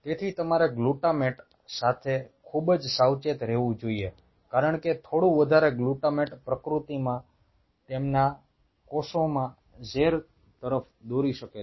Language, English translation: Gujarati, so you have to be very cautious with the glutamate, because a little bit of a higher glutamate could lead to toxicity within their cells in nature